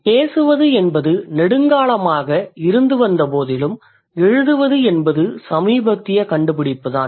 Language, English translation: Tamil, However, speaking has been there for a while, but writing is a recent kind of invention